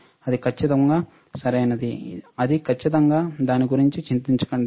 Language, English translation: Telugu, That is absolutely correct, that absolutely fine no worries about that